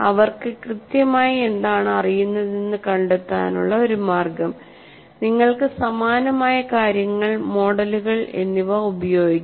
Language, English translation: Malayalam, One of the ways to find out what exactly they know, you can make use of similes and analogies and models